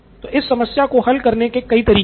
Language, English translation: Hindi, So several ways to solve this problem